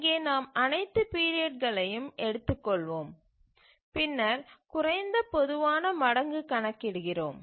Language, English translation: Tamil, So, we take all the periods and then compute the least common multiple